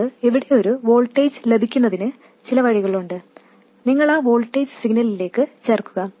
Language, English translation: Malayalam, In principle, you have some way of getting a voltage here, you add that voltage to the signal